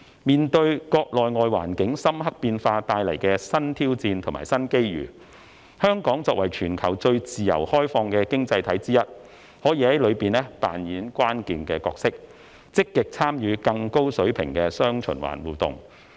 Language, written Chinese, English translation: Cantonese, 面對國內外環境深刻變化帶來的新挑戰和新機遇，香港作為全球最自由開放的經濟體之一，可在其中扮演關鍵角色，積極參與更高水平的"雙循環"互動。, In the face of the new challenges and new opportunities arising from the profound changes in domestic and international landscape Hong Kong as one of the most free and open economies in the world can play a key role and actively participate in a higher - level dual circulation interaction